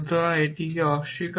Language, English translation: Bengali, So, what it is negation of that